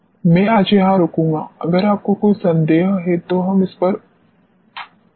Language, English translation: Hindi, I will stop here today, if you have any doubts, we can utilize the time, yes please